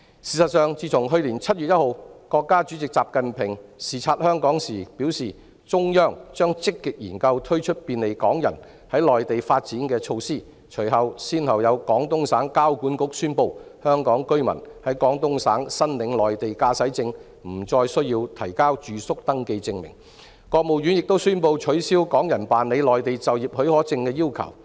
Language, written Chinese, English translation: Cantonese, 事實上，自從去年7月1日，國家主席習近平視察香港時表示，中央將積極研究推出便利港人在內地發展的措施後，廣東省交通管理局宣布香港居民在廣東省申領內地駕駛證不再需要提交住宿登記證明，而國務院亦宣布取消港人辦理內地就業許可證的要求。, As a matter of fact since President XI Jinping remarked on 1 July last year during his visit in Hong Kong that the Central Authorities would actively consider the introduction of measures to facilitate the development of Hong Kong people on the Mainland the Traffic Management Bureau of Guangdong Province has announced that Hong Kong residents are no longer required to submit proof of address when applying for Mainland driving licences in Guangdong Province and the State Council has also announced the removal of the requirement for people from Hong Kong to apply for employment permits